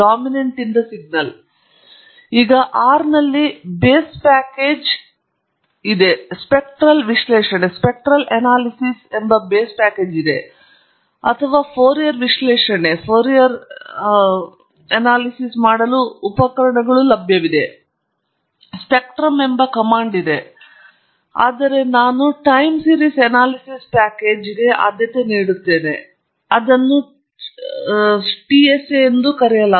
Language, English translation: Kannada, Now the base package in R does come with tools to perform spectral analysis or Fourier analysis; there’s a command called spectrum, but I prefer the Time Series Analysis package and it’s called the TSA